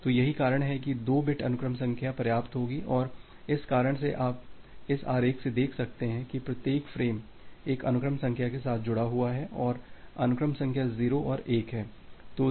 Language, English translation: Hindi, So, that is why 2 bit sequence number will be sufficient and because of this reason you can see from this diagram that, every frame is associated with one sequence number and the sequence numbers are 0’s and 1’s